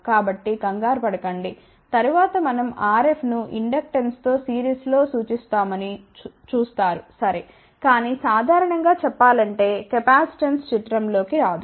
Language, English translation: Telugu, So, do not get confused, later on you will see that we do represent RF in series with inductance ok, but generally speaking capacitance does not come into picture